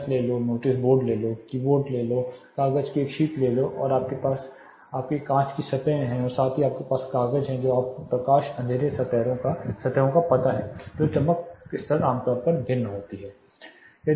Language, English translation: Hindi, Take the ceiling, take notice board, take the keyboard, take a sheet of paper plus you have your glass surfaces plus you have papers you know light dark surfaces where your brightness levels also now are typically varying